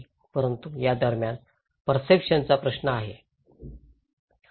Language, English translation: Marathi, But in between, there is a question of perceptions